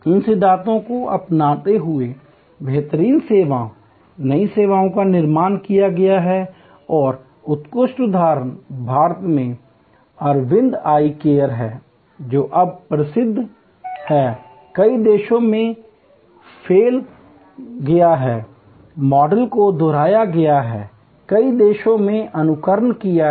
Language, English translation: Hindi, Adopting these principles, great services new services have been created and excellent example is Aravind Eye Care in India, world famous now, spread to many countries, the model has been replicated, an emulated number of countries